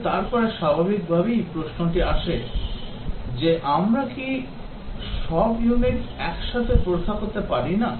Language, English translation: Bengali, But then the question that naturally arises is that, cant we just test all the units together